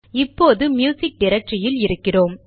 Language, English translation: Tamil, See, we are in the music directory now